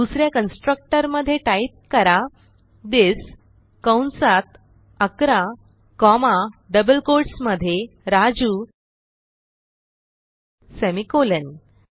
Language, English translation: Marathi, Inside the second constructor type this within brackets 11 comma within double quotes Raju semicolon